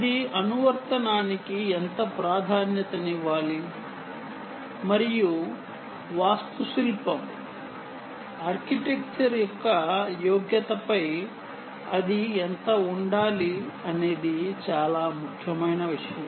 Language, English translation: Telugu, how much of it should be an emphasis on the application and how much should it be on the merit of the architecture